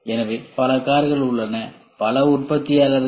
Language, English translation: Tamil, So, there are several cars, several different manufacturers